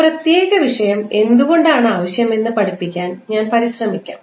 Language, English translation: Malayalam, I will try to understand why this particular this subject is required